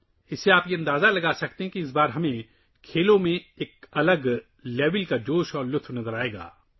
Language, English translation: Urdu, From this, you can make out that this time we will see a different level of excitement in sports